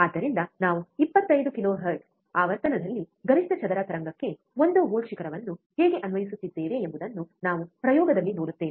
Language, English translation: Kannada, So, we will see in the experiment, how we are applying one volt peak to peak square wave, at a frequency of 25 kilohertz